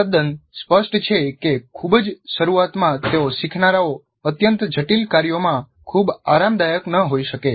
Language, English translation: Gujarati, Now it's quite obvious that at the very beginning the learners may not be very comfortable with highly complex tasks